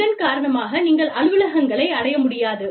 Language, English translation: Tamil, Because of which, you cannot reach the office, offices